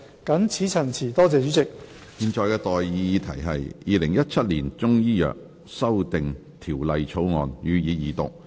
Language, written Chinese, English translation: Cantonese, 我現在向各位提出的待議議題是：《2017年中醫藥條例草案》予以二讀。, I now propose the question to you and that is That the Chinese Medicine Amendment Bill 2017 be read the Second time